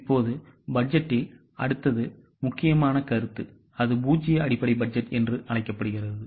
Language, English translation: Tamil, Now coming to the next important concept in budgeting that is known as zero base budgeting